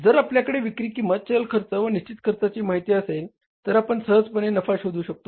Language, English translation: Marathi, If you have the information about the sales variable and the fixed cost, you can easily find out the profit